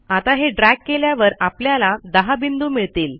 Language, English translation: Marathi, I can again drag this and I get 10 points here